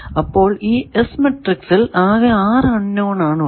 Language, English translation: Malayalam, So, 6 unknowns are there in the S matrix